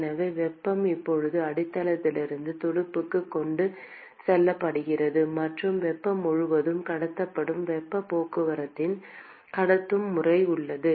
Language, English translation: Tamil, And so, the heat is now carried from the base to the fin and there is conduction mode of heat transport which is carrying heat across